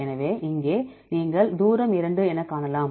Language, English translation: Tamil, So, here you can see that distance is two